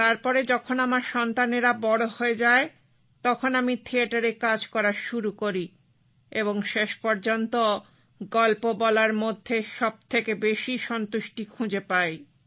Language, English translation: Bengali, Once my children grew up, I started working in theatre and finally, felt most satisfied in storytelling